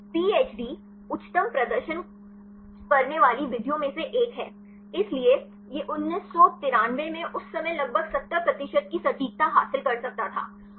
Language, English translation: Hindi, So, the PHD is one of the highest performing methods; so, it could achieve an accuracy of about 70 percent at that time in 1993